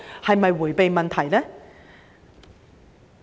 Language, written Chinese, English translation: Cantonese, 是否迴避問題呢？, Was it trying to evade the questions?